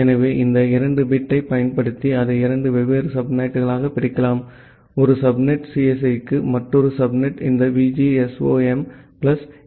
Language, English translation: Tamil, So, using these two bit, we divide it into two different subnet; one subnet is for CSE, another subnet is for this VGSOM plus EE